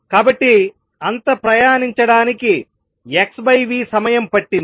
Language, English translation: Telugu, So, it took time x by v to travel that much